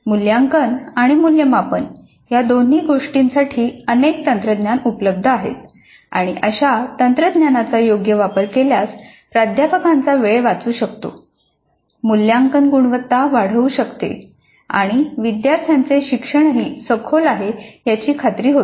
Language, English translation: Marathi, Now there are several technologies available for both assessment and evaluation and a proper use of such technologies can considerably save the faculty time, make the quality of assessment better and ensure that the learning of the students also is deep